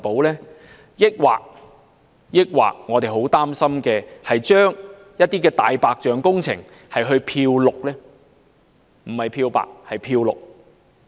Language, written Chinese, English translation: Cantonese, 還是會出現我們很擔心的情況，將一些"大白象"工程"漂綠"——不是漂白，而是"漂綠"？, Or will it lead to greenwashing of some white elephant projects―not whitewashing but greenwashing―something that worries us much?